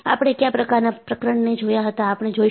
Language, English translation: Gujarati, So, we had looked at the kind of chapters that, we will look at